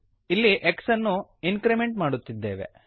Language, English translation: Kannada, Again x is incremented